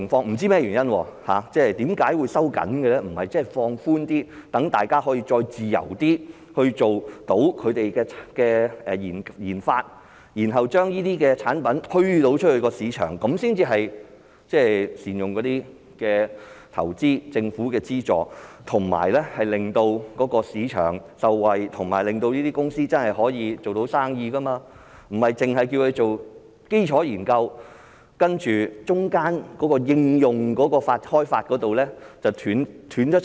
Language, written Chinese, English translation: Cantonese, 不知是甚麼原因，為何會收緊，而不是放寬，讓大家再自由地進行研發，然後將這些產品推出市場，這才是善用投資、政府的資助，以及令市場受惠，令這些公司做到生意，不單是叫他們做基礎研究，而中間的開發應用方面卻斷層？, However due to unknown reasons the relevant definition was narrowed down rather than relaxed thus failing to put investment and the Governments funding to optimal use and benefit the market by promoting free research and development activities and putting the products developed on the market . There should be initiatives in place to ensure business opportunities for these companies which should not simply be asked to conduct basic researches when a gap is created in the application area